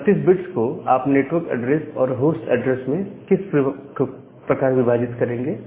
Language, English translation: Hindi, So, this 32 bit address is divided into the network address part and the host address part